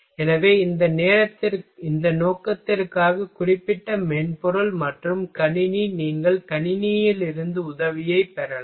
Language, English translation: Tamil, So, for this purpose specific software and computer you can take help from computer